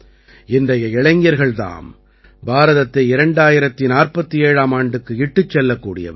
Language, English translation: Tamil, After all, it's the youth of today, who will take are today will take India till 2047